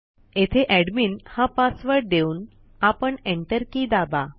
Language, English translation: Marathi, I will give the Admin password here and Enter